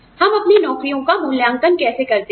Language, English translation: Hindi, How do we evaluate our jobs